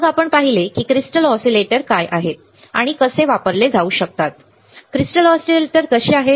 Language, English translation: Marathi, We have then seen what are the crystal oscillators, and how what are kind of crystal oscillators that can be used